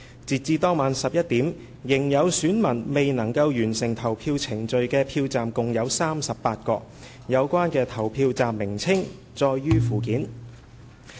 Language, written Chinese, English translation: Cantonese, 截至當晚11時，仍有選民未能完成投票程序的票站共有38個，有關的投票站名稱載於附件。, As at 11col00 pm that night there were a total of 38 polling stations with electors who had not completed the voting procedures . The names of the polling stations involved are set out in Annex